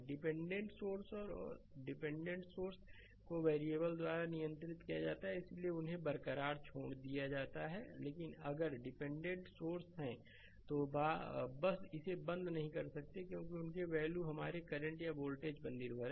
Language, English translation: Hindi, Dependent sources and dependent sources are controlled by variables and hence they are left intact so, but if dependent source are there, you just cannot turned it off right because their values are dependent on the what you call current or voltages right